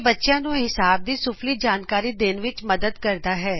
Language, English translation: Punjabi, Helps teach kids basics of mathematics